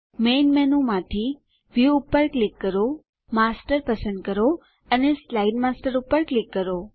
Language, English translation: Gujarati, From the Main menu, click View, select Master and click on Slide Master